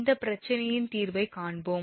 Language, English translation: Tamil, So, come to the solution of this problem